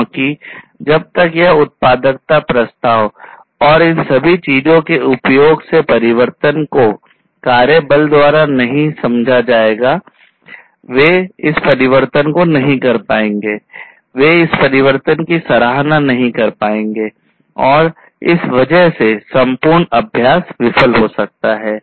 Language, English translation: Hindi, Because until this value proposition and the use of all of these things the transformation etc are understood by the workforce; they will not be able to you know do this transformation in a meaningful way, they will not be able to appreciate this transformation meaningfully, and because of which the entire exercise might fail